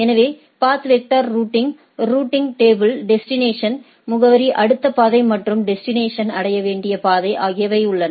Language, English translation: Tamil, So, in path vector routing, routing table contains destination address, next route and the path to reach the destination, right